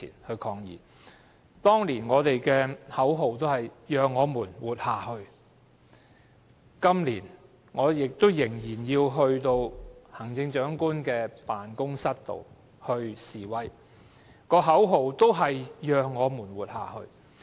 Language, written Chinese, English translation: Cantonese, 我們當年的口號是"讓我們活下去"，今年，我仍要到行政長官辦公室示威，口號仍是"讓我們活下去"。, Back then we chanted the slogan Let us live . This year I still have to go to the Chief Executives Office to protest chanting the same slogan Let us live